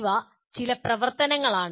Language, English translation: Malayalam, These are some activities